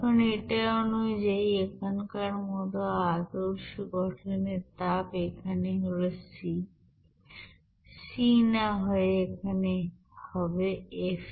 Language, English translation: Bengali, Now the standard heat of formation as like this here according to this here c instead of c it will be coming as f there